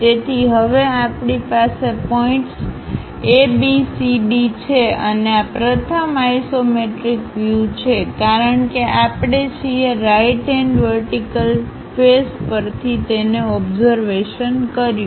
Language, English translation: Gujarati, So, now, we have points ABCD and this is the first isometric view because we are observing it from right hand vertical face